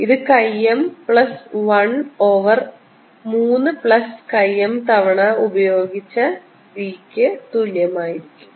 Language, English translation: Malayalam, m is equal to chi m b over mu zero implies m is equal to three chi m over three plus chi m times b over mu zero